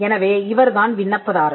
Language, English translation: Tamil, Now, this is the applicant